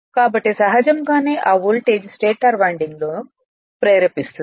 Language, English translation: Telugu, So, naturally that voltage will also induce in your what you call in the stator winding